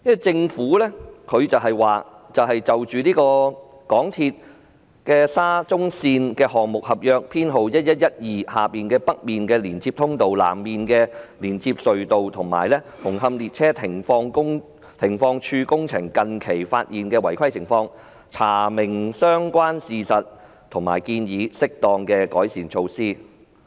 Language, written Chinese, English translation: Cantonese, 政府表示："就香港鐵路有限公司沙田至中環線項目合約編號1112下的北面連接隧道、南面連接隧道及紅磡列車停放處工程近期發現的違規情況，查明相關事實和建議適當的改善措施"。, The Government stated that to [] ascertain the relevant facts and recommend appropriate improvement measures relating to the irregularities that have recently surfaced in the construction of the North Approach Tunnels the South Approach Tunnels and the Hung Hom Stabling Sidings under the MTR Corporation Limiteds Contract No . 1112